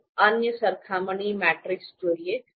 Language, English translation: Gujarati, Let’s look at other other comparison matrices, 0